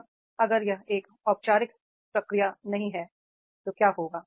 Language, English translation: Hindi, Now if it is not a formal procedure, what will happen